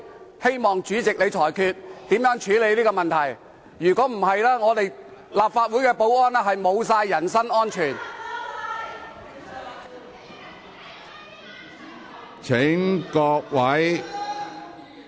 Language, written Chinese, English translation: Cantonese, 我希望主席裁決，如何處理這問題，否則，立法會保安人員的人身安全便失去保障。, I urge the President to rule how this should be handled . Otherwise the safety of security officers of the Legislative Council will be at risk